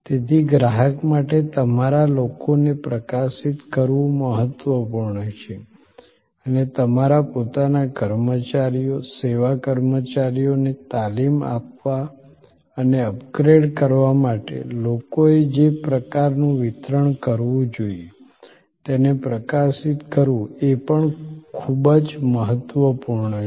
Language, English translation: Gujarati, So, highlighting your people is important for the customer and highlighting the kind of quality, the people must deliver is also very important for training and upgrading your own personnel, service personnel